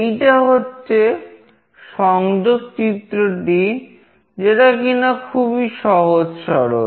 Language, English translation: Bengali, This is the connection diagram which is fairly straightforward